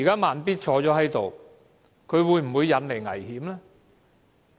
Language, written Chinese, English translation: Cantonese, "慢咇"現時在席，他會否引來危險呢？, Slow Beat is present now . Is he causing any danger?